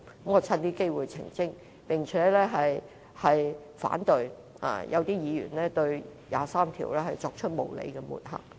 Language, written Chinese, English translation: Cantonese, 我趁此機會作出澄清，並反對一些議員對第二十三條立法作無理的抹黑。, I wish to take this opportunity to clarify that and express my opposition to the unjustifiable smearing made by some Members on the legislation on Article 23 of the Basic Law